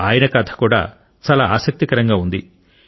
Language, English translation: Telugu, His story is also very interesting